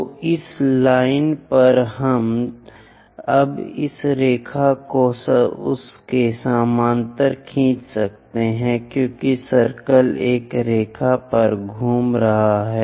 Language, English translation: Hindi, So, this line on this, we can now draw this line parallel to that because the circle is rolling on a line